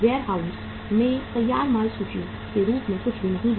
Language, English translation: Hindi, Nothing is in the warehouse as the finished goods inventory